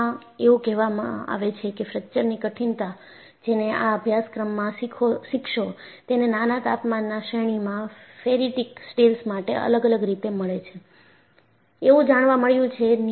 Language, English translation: Gujarati, And it is reported that, fracture toughness, which you would learn in this course, this was found to vary for ferritic steels over a small temperature range